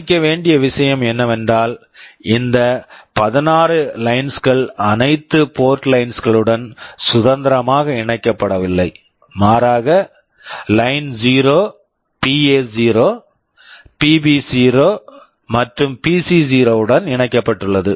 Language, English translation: Tamil, The point to note is that these 16 interrupt lines are not independently connected to all the port lines, rather Line0 is connected to PA0, PB0 and also PC0